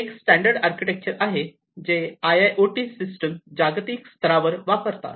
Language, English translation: Marathi, So, this is sort of a standard architecture that IIoT systems globally tend to use and tend to follow